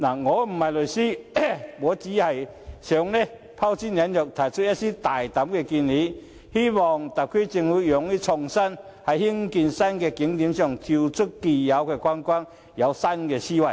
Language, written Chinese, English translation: Cantonese, 我想拋磚引玉，提出一些大膽的建議，希望特區政府勇於創作，在興建新景點時跳出既有的框框，採用新思維。, I raise some bold suggestions hoping to elicit other brilliant ideas . I hope that the SAR Government will be creative think out of the box and adopt new thinking in developing new attractions